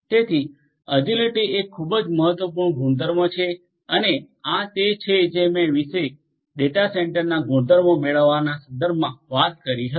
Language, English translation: Gujarati, So, agility is a very important property and this is something that I talked about in the context of get the property of a data centre